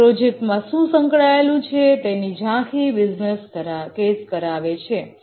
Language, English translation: Gujarati, This gives them an overview of what is involved in the project